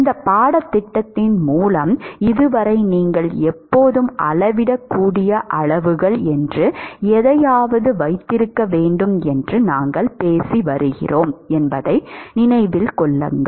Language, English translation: Tamil, Remember that all through this course, so far, we have been talking about like you must always have something called measurable quantities